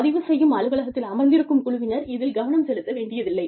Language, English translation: Tamil, The crew, sitting in the recording office, does not have to pay attention